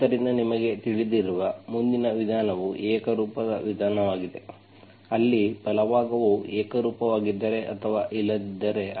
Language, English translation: Kannada, So next method you know is the homogeneous method where the right hand side, if it is a homogeneous or not